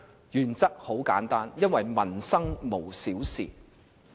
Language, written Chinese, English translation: Cantonese, 原則很簡單，因為民生無小事。, The principle is simple . It is because no livelihood issue is trivial